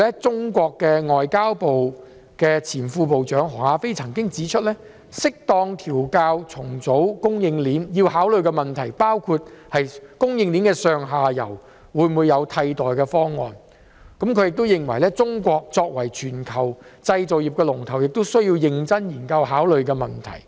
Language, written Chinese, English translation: Cantonese, 中國外交部前副部長何亞非曾經指出，適當調校和重組供應鏈要考慮的問題，包括供應鏈的上下游會否有替代的方案，他亦認為中國作為全球製造業的龍頭，這是一個需要認真研究和考慮的問題。, HE Ya - fei Vice - Minister of the Ministry of Foreign Affairs of China has also spoke on the factors to be considered in properly adjusting and restructuring the supply chains including whether there are upstream and downstream alternatives for the supply chains . He also reckoned that China as a global leader in manufacturing needs to examine and consider this question seriously